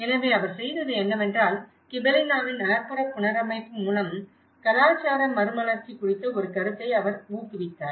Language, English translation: Tamil, So, what he did was he promoted an idea of the cultural renaissance through the urban reconstruction of Gibellina